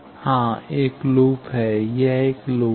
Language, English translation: Hindi, Yes, one loop is, this one is a loop